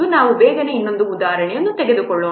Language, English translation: Kannada, We'll quickly take another example